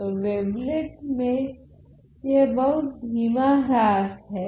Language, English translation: Hindi, So, in wavelet theory this is a very slow decay